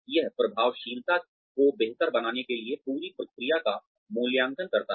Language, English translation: Hindi, It evaluates the whole process, in order to improve the effectiveness